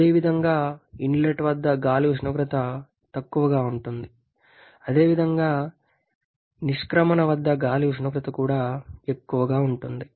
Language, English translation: Telugu, Similarly, at the inlet air temperature is low and similarly at the exit the air temperature also is low